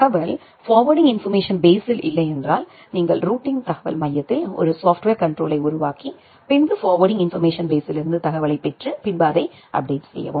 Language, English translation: Tamil, If the information is not there in the FIB then you need to make a software control at the routing information base to get the information from the routing information base and update the FIB